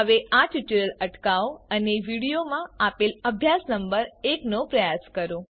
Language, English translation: Gujarati, Please pause the tutorial now and attempt the exercise number one given with the video